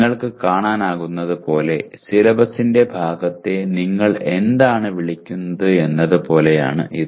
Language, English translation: Malayalam, As you can see it is more like what do you call part of the syllabus